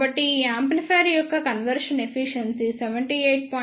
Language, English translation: Telugu, So, the conversion efficiency for this amplifier is 78